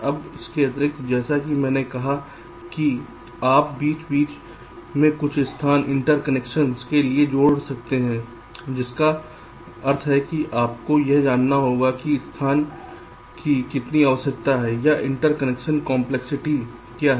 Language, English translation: Hindi, in addition, as i said, you can also add some space in between for interconnections, which means you need to know how much space is required or what is the complexity of the interconnections, right